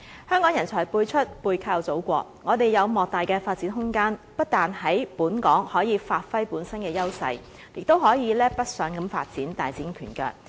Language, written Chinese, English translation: Cantonese, 香港人才輩出，背靠祖國，我們有莫大的發展空間，不但可以在本港發揮本身的優勢，也可以北上發展，大展拳腳。, Hong Kong is full of talented people . Leveraging on the Motherland we have ample room for advancement either by developing our strengths and talent locally or through heading north to achieve our full potential